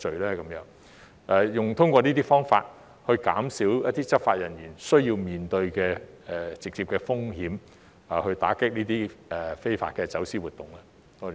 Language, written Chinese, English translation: Cantonese, 可否通過這些方法減少執法人員需要面對的直接風險，打擊這些非法走私活動呢？, Can these measures be adopted to reduce the direct risks faced by law enforcement officers in combating such illegal smuggling activities?